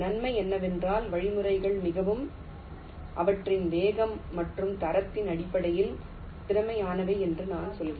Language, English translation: Tamil, the advantage is that the algorithms are very i mean say, efficient in terms of their speed and quality